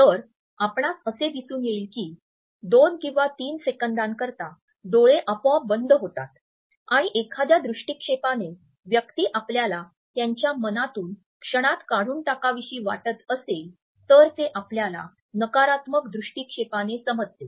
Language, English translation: Marathi, So, you would find that the eyes would shut automatically for two or three seconds are even longer and this sight remains closed as a person wants to remove you momentarily from his mind we can understand that it is a negative gaze